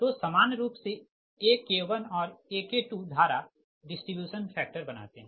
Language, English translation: Hindi, so ak one and ak two, generally it make it as a current distribution factors